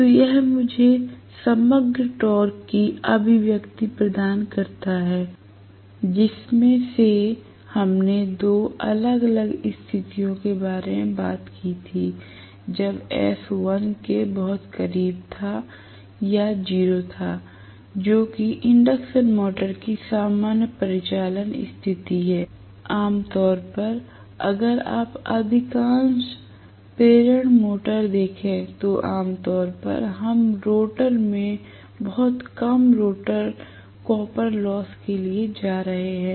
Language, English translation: Hindi, So, this gives me the overall torque expression, from which we talked about 2 different situations one was when S is very much less than 1 or closed to 0 right, which is the normal operating situation of an induction motor, normally, if you look at most of the induction motors, we are going to have the rotor copper loss to be generally very very small as compare to what is coming into the rotor